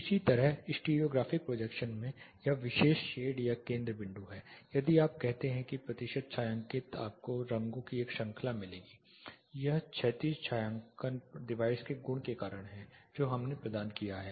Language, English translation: Hindi, (Refer Slide Time: 10:25) Similarly in the stereographic projection this particular shade this is center point if you say percentage shaded you will get a series of shades this is due by virtue of the horizontal shading device that we have provided